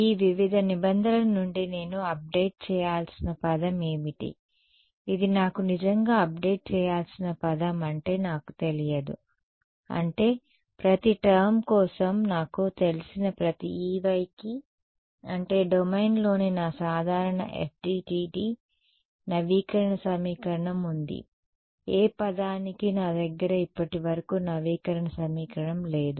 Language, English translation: Telugu, What is the term that I need to update from these various terms which is the term that I really need to update which I do not know I mean everything else I know for every E y inside the domain I have my usual FDTD update equation for what term I do I do not have an update equation so far